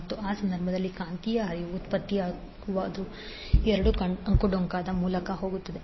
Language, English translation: Kannada, And the magnetic flux in that case, generated will goes through the both of the windings